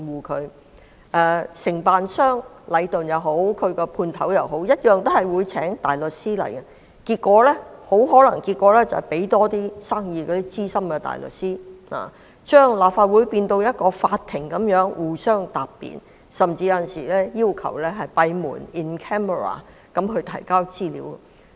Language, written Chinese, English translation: Cantonese, 屆時，不論是承建商禮頓或其分判商同樣會聘請大律師，結果可能只會讓資深大律師接到多點生意，把立法會變成法庭般由各方答辯，而有時甚至會要求閉門提交資料。, By then the contractor Leighton and its subcontractors will engage counsel which in turn may just bring more business to such Senior Counsel turning the Legislative Council into a courtroom where the parties present their cases and sometimes they will even request that information be submitted in camera